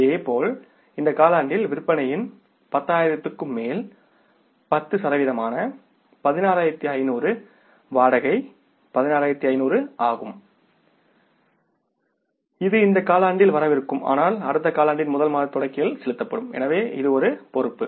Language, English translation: Tamil, Similarly for this quarter, the rent 16,500 which is 10% of above the 10,000 of the sales is 16,500 that will be due for this quarter but will be paid in the beginning of the first month of the next quarter